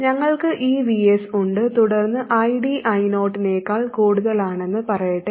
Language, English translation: Malayalam, We We have this VS and then let's say ID happens to be more than I 0